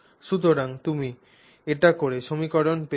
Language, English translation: Bengali, So, once you do that you get this equation